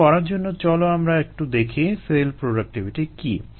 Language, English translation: Bengali, to do that, let us see what the cell productivities are